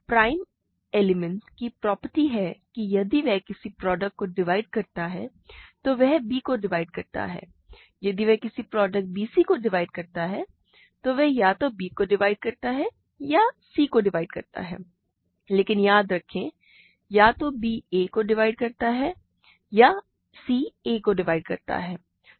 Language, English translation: Hindi, A prime element has the property that if it divides a product, it divides b, if it divides a product bc, it divides either b or c, but b remember divides a or c divides a